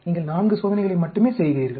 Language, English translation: Tamil, You are doing only 4 experiments